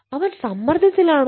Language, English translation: Malayalam, is he under stress